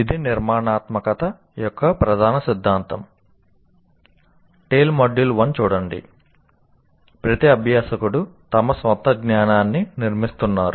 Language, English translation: Telugu, We are constructing each learner is constructing his own knowledge